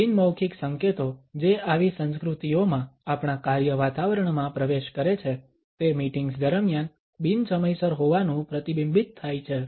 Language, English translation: Gujarati, The nonverbal cues which seep into our work environment in such cultures are reflected in being non punctual during the meetings